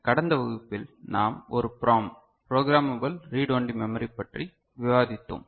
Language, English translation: Tamil, So, in the last class we had discussed a PROM: Programmable Read Only Memory